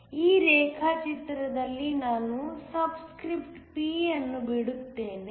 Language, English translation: Kannada, In this diagram let me just drop the subscript P